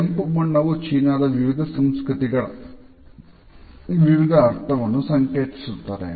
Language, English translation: Kannada, Now the red color has different associations in different cultures in China